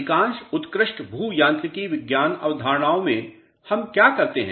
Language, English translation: Hindi, In most of the classical geomechanics concepts what do we do